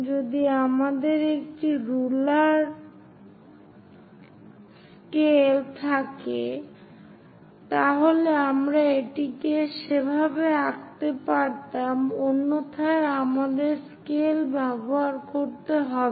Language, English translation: Bengali, So, if we have a rule scale, ruler scale, we we could have drawn it in that way; otherwise, let us use our scale